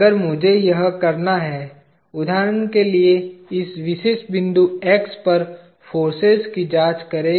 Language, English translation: Hindi, If I have to do this; for example, examine the forces at this particular point X